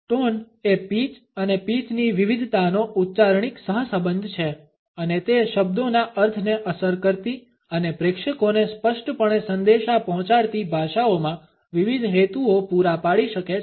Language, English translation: Gujarati, Tone is the phonological correlate of pitch and pitch variation and can serve different purposes across languages affecting the meaning of a word and communicating it clearly to the audience